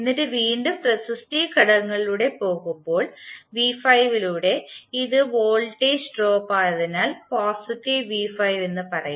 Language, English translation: Malayalam, And then again across resistive element v¬5 ¬it is voltage drop so we will say as positive v¬5¬